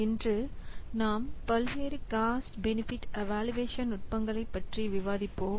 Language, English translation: Tamil, So, today we will discuss the different cost benefit evaluation techniques